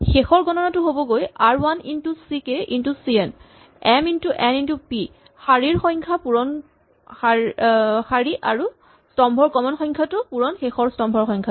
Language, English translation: Assamese, The final computation is going to be r 1 into c k into c n right, m into n into p the rows into the column, common number of column row into the final number of columns